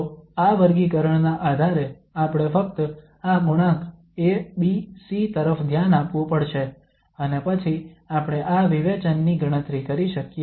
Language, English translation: Gujarati, So based on this classification we have to just look at these coefficients A, B, C and then we can compute this discriminant